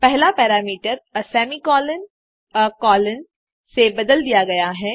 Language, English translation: Hindi, The first parameter, is replaced with a semi colon a colon